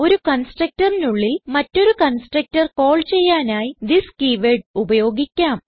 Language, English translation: Malayalam, We can use this keyword inside a constructor to call another one